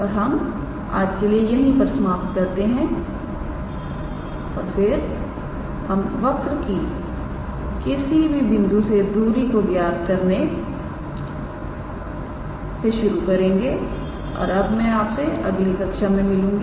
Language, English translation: Hindi, And we will stop here for today and then in the next class we will continue with calculating the length of a given curve from a certain point to a certain point and I look forward to you in your next class